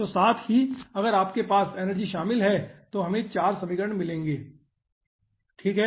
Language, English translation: Hindi, if you are having energy involved, you will be getting 4 equations